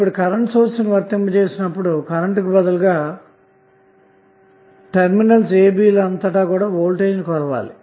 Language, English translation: Telugu, When you apply the current source instead of the current which you have measure here you have to measure the voltage across terminals a b